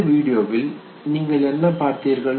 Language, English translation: Tamil, What did you see in this very video